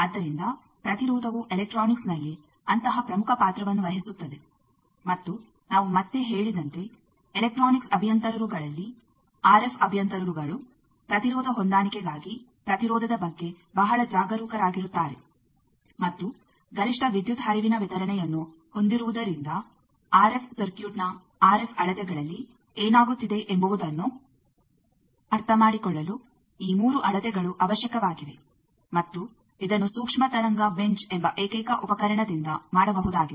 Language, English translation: Kannada, That is why impedance plays such a major role in electronics and we have again said that amongst electronics engineers, RF engineers are very careful about impedance for impedance matching and having the optimum power delivery, these 3 measurements are necessary for understanding what is happening in any RF measurements RF circuit, and this can be done by a single set of apparatus called microwave bench